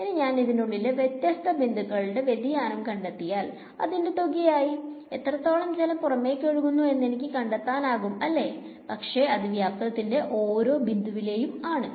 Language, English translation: Malayalam, If I find out this divergence at various points inside this, I will get a sum total of how much is outgoing right, but that is at each point in the volume